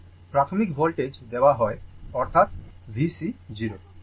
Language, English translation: Bengali, Initial voltage is given right; that is V C 0